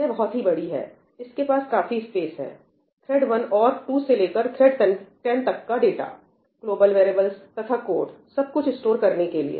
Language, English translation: Hindi, It is huge, it has enough space to store data for thread 1 as well as thread 2, and 10 threads, and global variables and code and everything